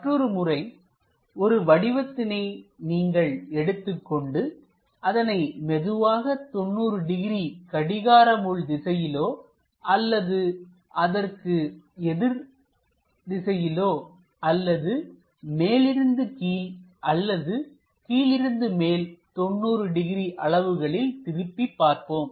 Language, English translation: Tamil, The other way is is more like you keep the object, slowly rotate it by 90 degrees either clockwise, anti clockwise kind of directions or perhaps from top to bottom 90 degrees or bottom to top 90 degrees